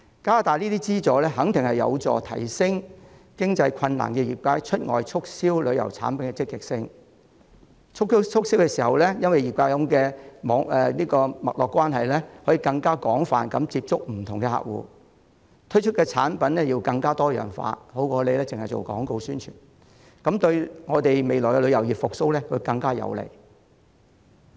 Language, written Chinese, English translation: Cantonese, 加大相關資助肯定有助提升出現財政困難的業界對外促銷旅遊產品的積極性，擁有脈絡關係的業界在促銷時可以更廣泛地接觸不同客戶，推出的產品更多樣化，勝過只進行廣告宣傳，對我們旅遊業未來的復蘇更有利。, Increasing the relevant subsidies will definitely serve to make industry participants with financial difficulties more proactive in external promotion of tourism products . When doing promotion industry participants with networking connections can reach different customers on a more extensive basis with more diverse products launched which will be better than relying solely on advertising and publicity . It will be more conducive to the recovery of our tourism industry in the future